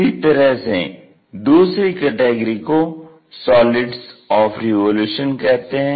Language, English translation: Hindi, Similarly, there is another set called solids of revolution